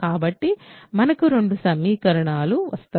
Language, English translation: Telugu, So, we get two equations